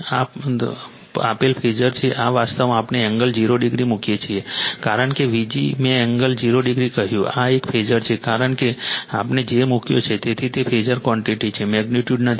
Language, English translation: Gujarati, This is the given phasor this is actually then we put angle 0 degree, because V g I told you angle 0 degree, this is a phasor because we have put j, so it is it is phasor quantity not magnitude